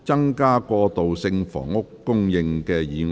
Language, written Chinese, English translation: Cantonese, "增加過渡性房屋供應"議案。, Motion on Increasing transitional housing supply